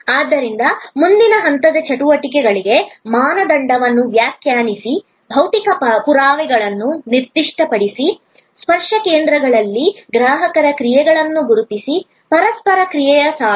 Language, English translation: Kannada, So, define standard for front stage activities, specify physical evidence, identify principle customer actions at the touch points, the line of interaction